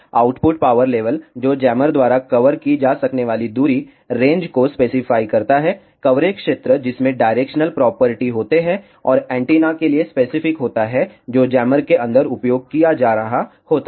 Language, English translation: Hindi, The, output power level which specifies the distance range that can be covered by the jammer, coverage area which has the directional properties and specific to the antenna that is being used inside the jammer